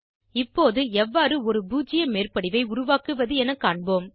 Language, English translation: Tamil, Now, lets learn how to create a zero overlap